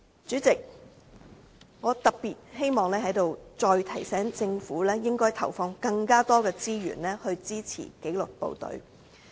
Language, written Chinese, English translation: Cantonese, 主席，我在此特別希望再提醒政府應要投放更多資源，支持紀律部隊。, President I would like to specially remind the Government that more resources are needed to support the disciplinary forces the cornerstone of prosperity in Hong Kong